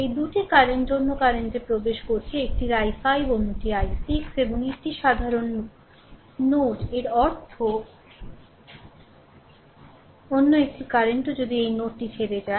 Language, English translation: Bengali, This 2 current are entering other current is leaving one is i 5 another is i 6 plus this ah this is a common node right; that means, another current also if you take leaving this node